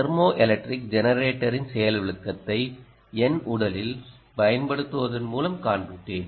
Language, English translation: Tamil, i showed you a demonstration of the thermoelectric generator by applying it on my body and i also, in fact, on the hot side